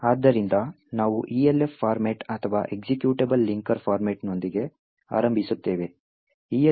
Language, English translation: Kannada, So, we will start with the Elf format or the Executable Linker Format